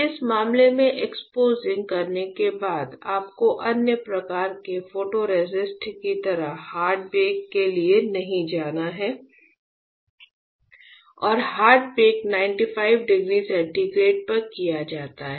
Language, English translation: Hindi, In this case after exposing; you have to go for hard bake not like other kind of photoresist and hard bake is done at 95 degree centigrade